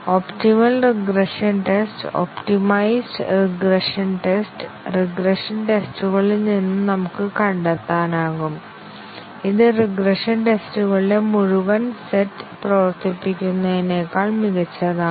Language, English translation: Malayalam, We can find out an optimum regression test, optimized regression test, out of the regression tests, which are almost as good as running the full set of regression tests